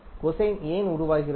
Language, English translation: Tamil, Why cosine form